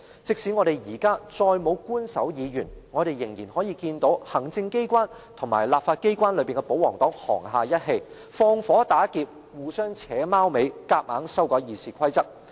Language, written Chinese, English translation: Cantonese, 即使我們現在再沒有官守議員，我們仍然可以看到行政機關與立法機關中的保皇黨沆瀣一氣、放火打劫，互相"扯貓尾"，強行修改《議事規則》。, Even though we have already scrapped the ex - officio Member appointment we can still witness the collusion between the executive authorities and the pro - Government camp in the legislature as the two fish in troubled waters and collaborate to push for the arbitrary passage of the RoP amendments